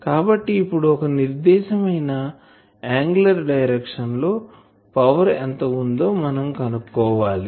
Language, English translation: Telugu, So, I will have to find the power that it is giving in a particular angular direction